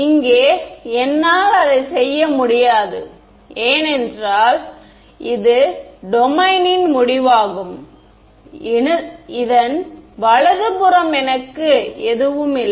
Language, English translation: Tamil, Here I cannot do that because it is the end of the domain I have nothing to the right of this